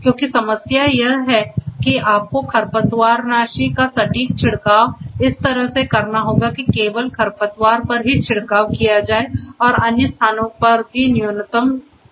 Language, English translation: Hindi, Because the problem is that you need to have precise spray of weedicides in such a way that only the weeds will be sprayed and the other places will be minimally affected right